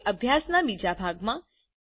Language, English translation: Gujarati, Now to the second part of the lesson